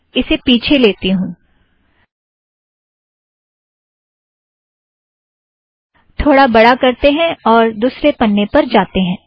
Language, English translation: Hindi, Lets take it back, make it bigger, lets go to the second page